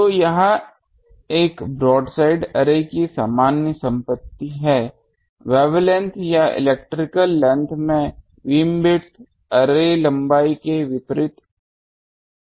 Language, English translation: Hindi, So, this is the general property of a broadside array; the beamwidth is inversely proportional to the array length in wavelengths or arrays electrical length